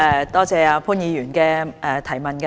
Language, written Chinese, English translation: Cantonese, 多謝潘議員提出的補充質詢。, I thank Mr POON for his supplementary question